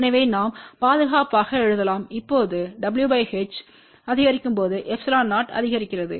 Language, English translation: Tamil, So, we can safely write now as w by h increases epsilon 0 increases